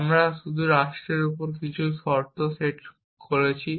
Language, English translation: Bengali, We just some conditions have set on those on the state